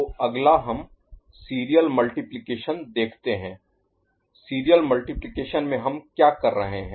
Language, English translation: Hindi, So, next we look at serial multiplication ok, in serial multiplication what we are having